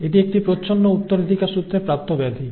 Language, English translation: Bengali, That is recessively inherited disorder